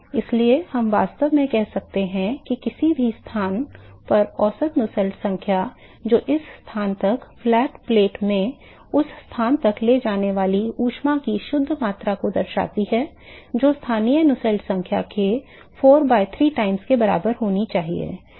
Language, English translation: Hindi, So, therefore, we can actually say that the average Nusselt number at any location which signifies the net amount of heat that is transported till that location in the flat plate that should be equal to 4 by 3 times the local Nusselt number